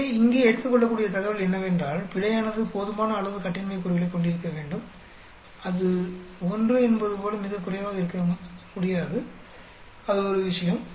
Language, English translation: Tamil, So, one of the take away here is error should have sufficiently large degree of freedom, it cannot be so low as 1, that is one thing